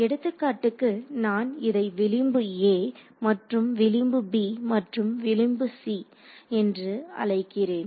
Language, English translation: Tamil, You mean the for example, if I call this edge a and edge b and edge c